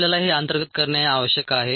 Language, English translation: Marathi, you need to internalize that